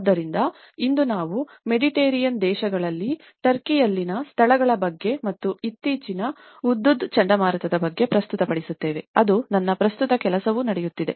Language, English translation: Kannada, So, today we will be covering about places in Turkey in the Mediterranean countries and also the recent Hudhud cyclone which my present work is also going on